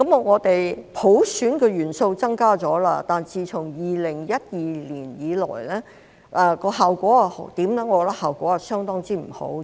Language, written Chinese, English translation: Cantonese, 我們普選的元素增加了，但自2012年以來的效果如何呢？, The element of universal suffrage has been increased but what has been the effect since 2012?